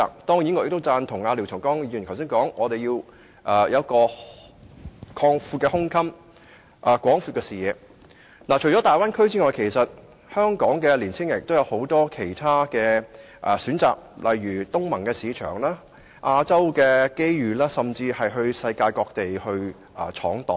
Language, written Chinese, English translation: Cantonese, 當然，我亦贊同廖長江議員剛才所說，我們須有廣闊的胸襟和視野，除大灣區外，香港的青年人亦有很多其他選擇，例如東盟的市場、亞洲的機遇，他們甚至可到世界各地闖蕩。, I naturally agree with Mr Martin LIAO that we must broaden our minds and horizons . Actually apart from the Bay Area our young people still have many choices such as the ASEAN market and other opportunities in Asia . They may even venture out to all parts of the world